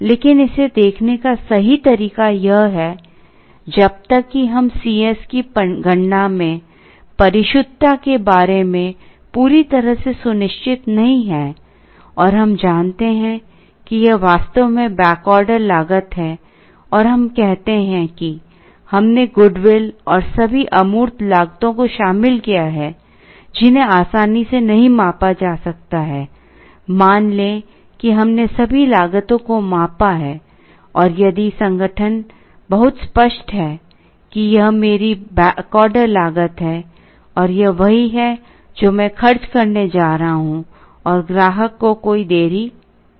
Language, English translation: Hindi, But the actual way to look at it is, unless we are absolutely sure about the correctness in the computation of C s, and we know that this is exactly the back order cost and let us say we have included the loss of good will and all those intangible or costs that cannot be measured easily, let us say we have measured all the cost and if the organization is very clear that this is my back order cost and this is exactly what I am going to incur, there is going to be no delay to the customer